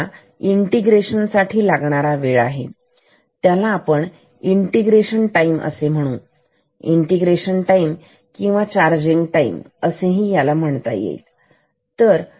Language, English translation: Marathi, T is this time integration time; t is integration time or charging time integration time ok